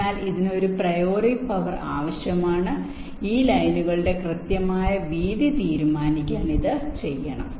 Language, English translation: Malayalam, so this will be require a priori power and this is to be done to decide on the exact widths of this lines